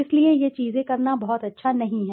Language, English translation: Hindi, So these things are not very good to do